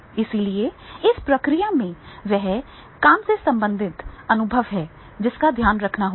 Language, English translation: Hindi, So, in this process, that is the work related experience that has to be taken care of